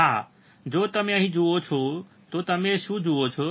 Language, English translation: Gujarati, Yeah so, if you see here, right what do you see